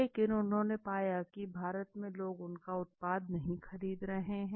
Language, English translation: Hindi, But on the contrary they found that people did not accept their product